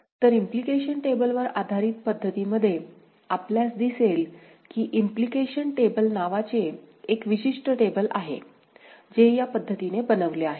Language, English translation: Marathi, So, in the Implication table based method we have a particular table called Implication table, made in this manner ok